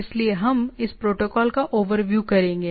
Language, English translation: Hindi, So, we will take a overview of the this protocol